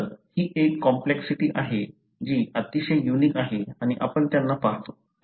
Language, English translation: Marathi, So, this is a complexity which is very, very unique and we, we do see them